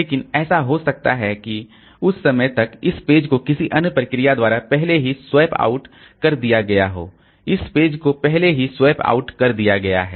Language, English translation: Hindi, But it may so happen that by this time this page has already been swapped out by some other process this page has already been swapped out